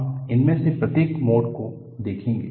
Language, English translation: Hindi, We would see each one of these modes